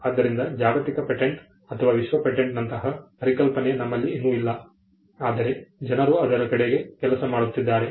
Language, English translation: Kannada, So, we still do not have something like a global patent or a world patent that concept is still not there, though people are working towards it